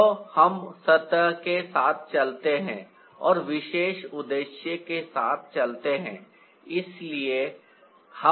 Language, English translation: Hindi, so let's go with the surface and go with the particular purpose